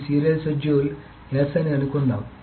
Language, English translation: Telugu, So suppose this is a serial schedule is S